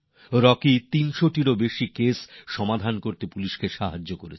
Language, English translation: Bengali, Rocky had helped the police in solving over 300 cases